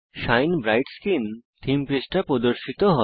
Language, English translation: Bengali, The Shine Bright Skin theme page appears